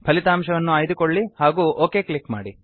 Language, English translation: Kannada, Select this result and click on OK